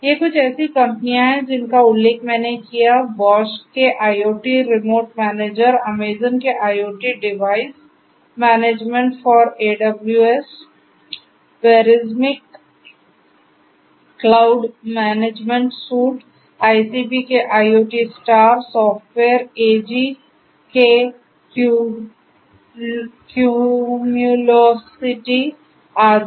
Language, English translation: Hindi, These are some of these companies that I mentioned Bosch IoT Remote Manager, Amazon’s IoT Device Management for AWS, Verismic’s Cloud Management Suite, ICP’s IoTstar, Software AG’s Cumulocity and so on like this there are many many different other cloud based device management solutions out there